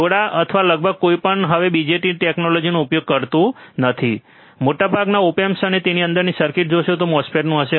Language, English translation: Gujarati, Very few or almost none uses the bjt technology anymore, most of the op amps you will see the circuit within it would be of a MOSFET